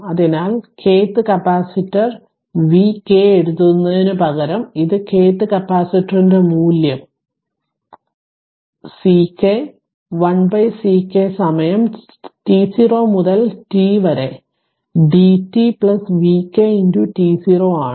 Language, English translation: Malayalam, So, this one instead of v we are writing k th capacitor v k, and value of k th capacitor is C k 1 upon C k time is t 0 to t it dt plus v k t 0 right